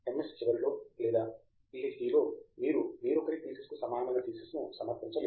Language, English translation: Telugu, In fact, at the end of MS or PhD, you cannot submit a thesis which is similar to anybody else’s thesis